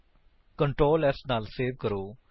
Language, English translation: Punjabi, Ctrl s to Save